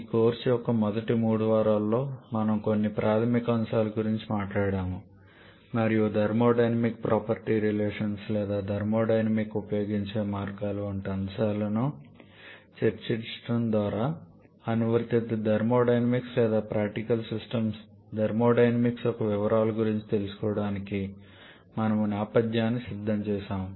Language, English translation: Telugu, In the first three weeks of this course we have talked about some basic concepts and also we have prepared the backdrop for going to the details of applied thermodynamics or application of thermodynamics to practical systems by discussing topics like thermodynamic property relations or the ways of using thermodynamic tables for identifying the properties of pure substances